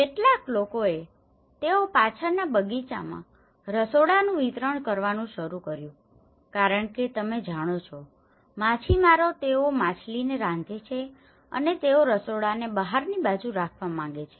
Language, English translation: Gujarati, And some people they started expanding the kitchens in the backyard because you know, fishermans they cook fish and they want the kitchen to be outside